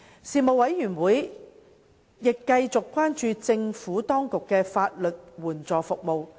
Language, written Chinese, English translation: Cantonese, 事務委員會亦繼續關注政府當局的法律援助服務。, The Panel also continued to pay attention to the legal aid services provided by the Administration